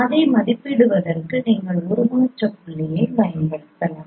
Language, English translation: Tamil, You can use the transform points to estimate it